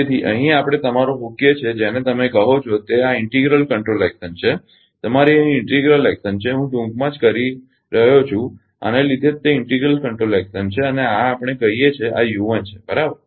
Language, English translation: Gujarati, So, here we are putting your what you call this is integral action action is your here integral action I am just making in short because of this is integral control action and this where we are putting say this is u 1 right